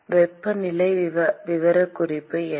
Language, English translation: Tamil, What is the temperature profile